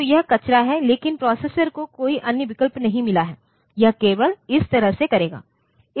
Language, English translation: Hindi, So, that is the garbage, but the processor has got no other options, it will do that way only